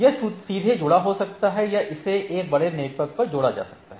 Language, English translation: Hindi, So, it can be directly connected, or it can be connected over a large network